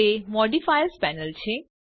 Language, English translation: Gujarati, This is the Modifiers panel